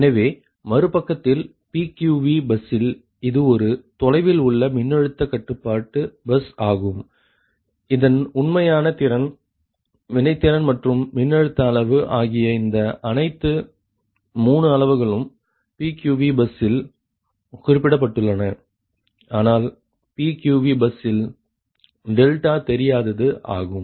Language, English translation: Tamil, so, on the other hand, in the pq v bus is a remotely voltage control bus right whose real power, reactive power and voltage magnitude, all three quantities, are specified at pqv bus but delta is unknown at pqv bus, right